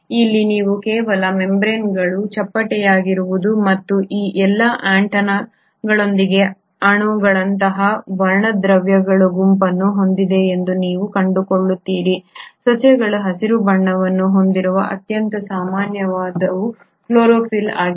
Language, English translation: Kannada, Here you find that not only are the membranes flattened and are studded with all these antenna like molecules which is nothing but a set of pigments, the most common one for which the plants are green in colour is the chlorophyll